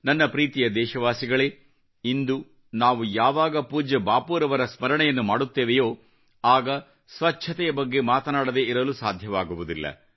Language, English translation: Kannada, My dear countrymen, while remembering revered Bapu today, it is quite natural not to skip talking of cleanliness